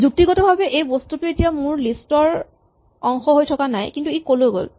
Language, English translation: Assamese, Now, logically this thing is no longer part of my list but where has it gone